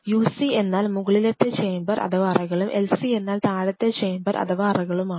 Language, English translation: Malayalam, UC stand for Upper chamber; LC stand for Lower chamber